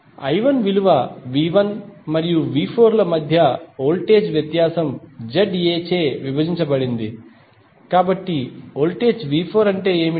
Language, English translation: Telugu, I 1 value would be the voltage difference between V 1 and V 4 divided by Z A, so what is the voltage of V 4